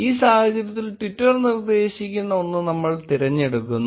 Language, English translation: Malayalam, In this case, we choose the one, which is suggested by twitter